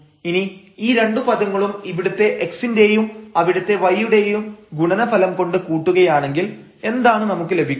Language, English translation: Malayalam, And, then if we add these 2 terms with the product of x here and y there what we will get